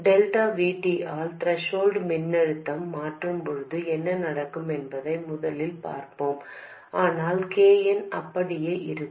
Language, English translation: Tamil, First, let's look at what happens when the threshold voltage changes by delta VT, but KN remains as it was